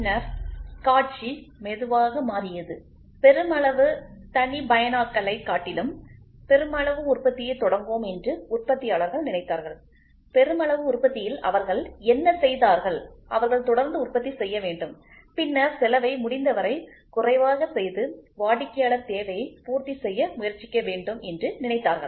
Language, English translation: Tamil, Then the scenario slowly changed that the change in scenario was in manufacturing people thought of let us start making mass production rather than mass customization, in mass production what they did was they said let us keep on producing and then let us make the cost come as low as possible and try to cater up to the customer need